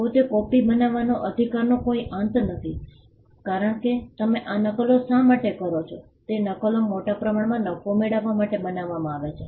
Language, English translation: Gujarati, The right to copy in itself is not an end because why do you make these copies the copies are largely made to exploit for profit